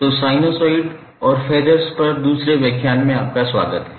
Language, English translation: Hindi, So, wake up to the second lecture on sinusoid and phasers